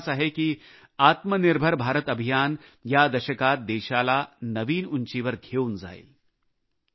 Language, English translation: Marathi, I firmly believe that the Atmanirbhar Bharat campaign will take the country to greater heights in this decade